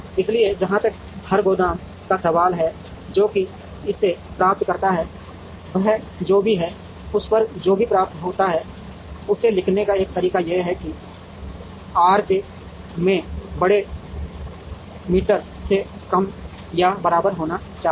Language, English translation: Hindi, So, as far as every warehouse is concerned, whatever it receives X i j summed over i, whatever it receives, one way is to write it as should be less than or equal to big m into R j